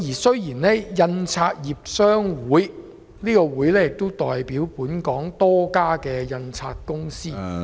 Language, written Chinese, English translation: Cantonese, 雖然香港印刷業商會也代表本港多家印刷公司......, Though HKPA represents a number of printing companies in Hong Kong